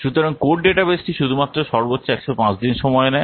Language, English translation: Bengali, So code database is over only it takes maximum date, 105 days